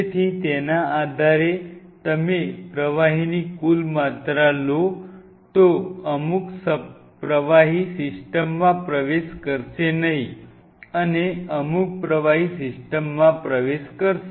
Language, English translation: Gujarati, So, based on that if you took it, took at total amount of fluid some fluid we will not get into this and some fluid will get into the system